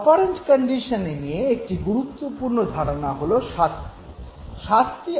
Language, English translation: Bengali, Important concept also in operant conditioning is of punishment